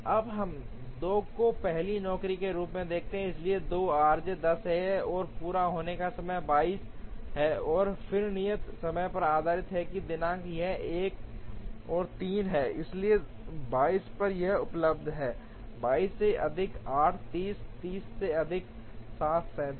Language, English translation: Hindi, Now, we look at 2 as the first job, so 2 r j is 10, completion time is 22 then based on due dates it is 1 and 3, so at 22 it is available, 22 plus 8, 30, 30 plus 7, 37